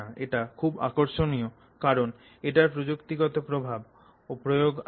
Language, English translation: Bengali, This is very, very interesting from technological application perspective